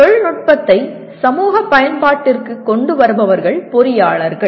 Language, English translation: Tamil, And the persons who bring technology into societal use are engineers